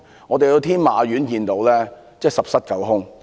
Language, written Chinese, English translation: Cantonese, 我們在天馬苑看到商場十室九空。, At Tin Ma Court we saw that most units in the shopping mall were vacant